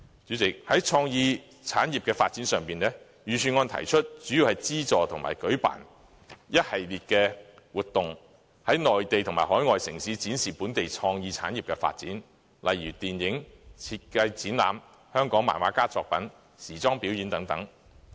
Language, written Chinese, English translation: Cantonese, 主席，在創意產業發展上，預算案主要提出資助和舉辦一系列活動，在內地及海外城市展示本地創意產業的發展，例如舉辦電影展、設計展覽、香港漫畫家作品展覽和時裝表演等。, President on developing creative industries the Budget has for the most part suggested providing funding and hosting a series of activities in Mainland and overseas cities to showcase the development of local creative industries . These include for instance the organization of film shows design exhibitions Hong Kong comics exhibition and fashion shows